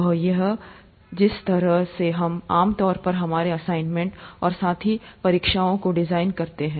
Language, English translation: Hindi, That's the way we typically design our assignments as well as the exams